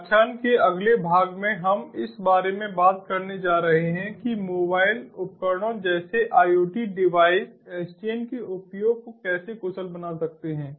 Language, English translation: Hindi, in the next part of the lecture ah, we are going to talk about how iot devices, like mobile devices, can exploit the use of sdn to make them efficient